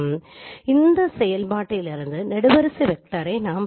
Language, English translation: Tamil, So this is a column vector that we will get from this operation